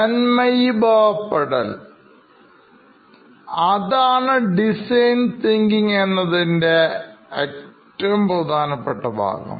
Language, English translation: Malayalam, This pretty much is the central piece of design thinking